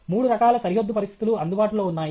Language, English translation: Telugu, Three kinds of boundary conditions are available